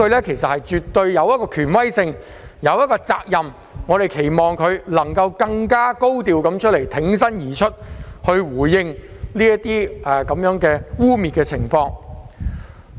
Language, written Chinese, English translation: Cantonese, 她絕對有其權威和責任作出回應，所以我們期望她能更高調地挺身而出，回應這些污衊。, She definitely has the authority and responsibility to respond; therefore we expect her to courageously respond to these acts of defamation in a higher profile